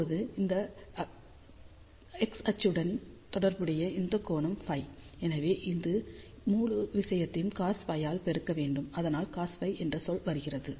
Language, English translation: Tamil, So, now, corresponding to this particular x axis this angle is phi so; that means, this whole thing has to be multiplied by cos phi and that is why the term cos phi comes into picture